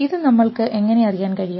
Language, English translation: Malayalam, How do we know it